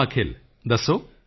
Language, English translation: Punjabi, Yes Akhil, tell me